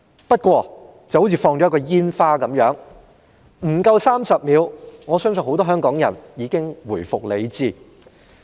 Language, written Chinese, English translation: Cantonese, 不過，情況就像施放一枚煙花般，不足30秒，很多香港人已經回復理智。, However just like fireworks display it lasted less than 30 seconds and many Hong Kong people soon became sensible again